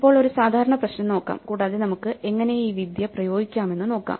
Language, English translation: Malayalam, Now, let us look at a typical problem and see how we can apply this technique